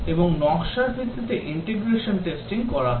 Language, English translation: Bengali, And based on the design the integration testing is carried out